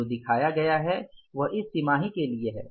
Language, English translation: Hindi, This is not for this quarter